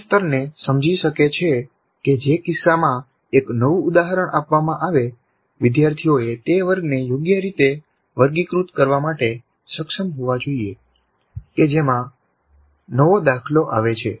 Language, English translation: Gujarati, It could be understand level in which case given a new instance learners must be able to correctly categorize the class to which the new instance belongs